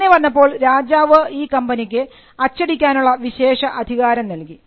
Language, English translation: Malayalam, Now, the king granted the privilege to this company and this company had a monopoly in printing